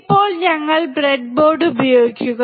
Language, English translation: Malayalam, Now we use the breadboard